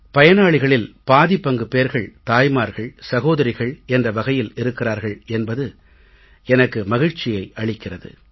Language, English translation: Tamil, And I have been told that almost half the beneficiaries are women, the mothers and the daughters